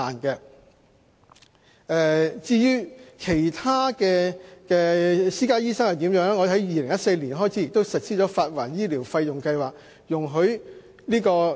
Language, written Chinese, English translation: Cantonese, 如果他們到私家醫生診所求診，政府亦已在2014年開始實施發還醫療費用計劃。, If they seek treatment from private doctors they can apply for reimbursement of the relevant medical expenses under a scheme implemented by the Government in 2014